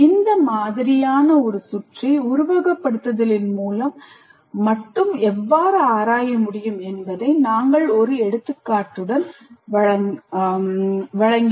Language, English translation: Tamil, We're just giving an example how a circuit of this nature can only be explored through simulation